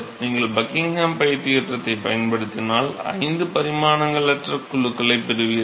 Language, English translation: Tamil, So, if you use the Buckingham pi theorem so, you will get five dimensions less groups